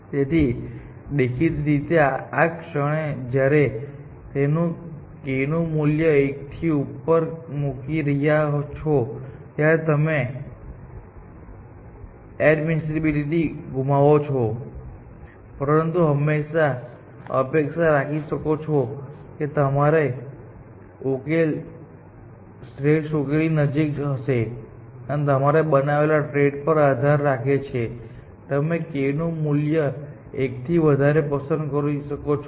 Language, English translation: Gujarati, So, obviously, the moment you put k greater than 1, you are losing admissibility, but you can expect that your solution would be close to optimal solution, and depending on some trade off that you may have to make, you can choose the value of k higher than 1, essentially